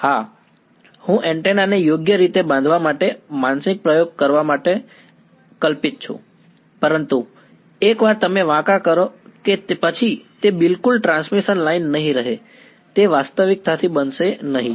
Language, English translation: Gujarati, Yeah, I am hypothetical like doing a mental experiment to construct an antenna right, but this is not going to be realistically once you bend it is no longer exactly a transmission lines